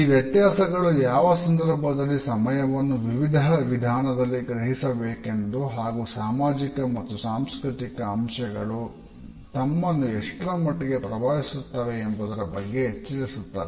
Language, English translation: Kannada, These differences alert us to the manner in which time is perceived in different ways and the extent to which we are conditioned by our social and cultural parameters